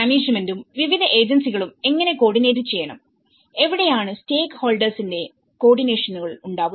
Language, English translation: Malayalam, The management and also how different agencies has to coordinate, that is where the stakeholder coordination